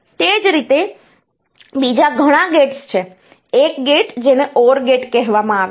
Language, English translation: Gujarati, Similarly, there are many other gates like say, there is one gate called OR gate